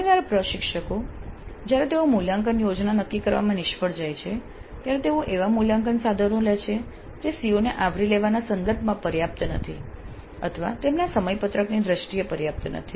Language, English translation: Gujarati, Often the instructors when they fail to determine the assessment plan may end up with assessment instruments which are inadequate in terms of covering the COs or inadequate in terms of their schedule